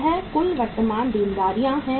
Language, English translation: Hindi, These are the total current liabilities